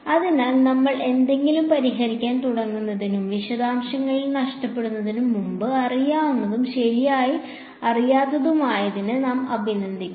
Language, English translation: Malayalam, So, before we even get into solving something and get lost in the details we should appreciate what is known, what is not known right